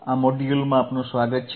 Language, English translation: Gujarati, Welcome to this particular modulemodule